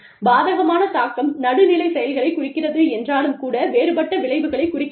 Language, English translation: Tamil, Adverse impact refers to, neutral actions, but with differential consequences